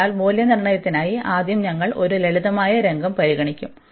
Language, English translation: Malayalam, So, for the evaluation, we have we will consider first the a simple scenario